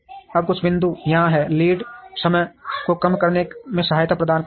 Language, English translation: Hindi, Now some of the points are here getting help from reducing lead times